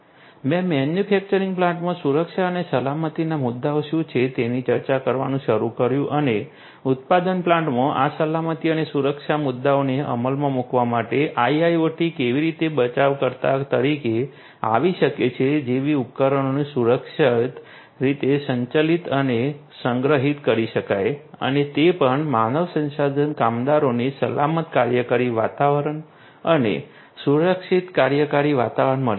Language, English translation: Gujarati, I started discussing about you know what are the security and safety issues in a manufacturing plant and how IIoT can come as a rescuer for you know for implementing these safety and security issues in a manufacturing plant so that the devices can be safely and securely managed and stored and also they the human resources the workers could also be having a safe working environment a secured working environment